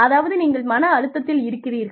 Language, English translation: Tamil, Which means that, you are under stress